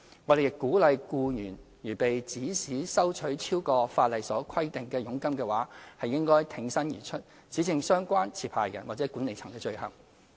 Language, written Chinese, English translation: Cantonese, 我們亦鼓勵僱員如被指使收取超過法例所規定的佣金的話，應挺身而出，指證相關持牌人或管理層的罪行。, We also encourage those employees who have been instructed to charge commission exceeding the statutory prescribed rate to come forward and report the offence of the relevant licensee or management